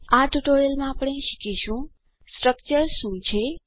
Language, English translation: Gujarati, In this tutorial we will learn, What is a Structure